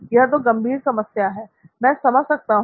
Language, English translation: Hindi, Yeah, it is a serious problem, I can understand